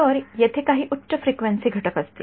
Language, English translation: Marathi, So, there will be some high frequency component right